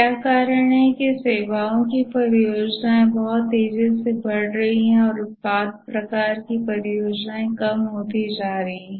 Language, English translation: Hindi, What is the reason that the services projects are growing very fast and the product type of projects are becoming less